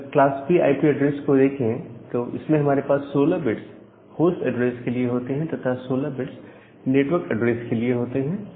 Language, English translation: Hindi, In case of class B IP address, you have 16 bit of host address, and then 16 bit for the network address